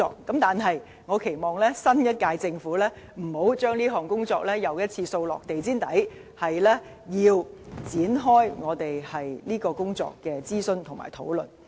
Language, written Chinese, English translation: Cantonese, 但是，我期望新一屆政府不要將這項工作再次掃到地毯下，而應展開這項工作的諮詢和討論。, That said I hope the next Government will not once more leave the task aside but commence consultation and discussion in this respect